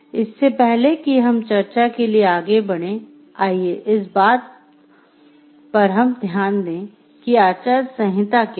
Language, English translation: Hindi, Before we proceeded on to discussing before you proceed on to discussing, what is code of ethics